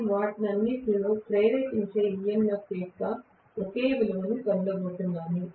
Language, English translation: Telugu, I am not going to get the same value of the induce EMF in all of them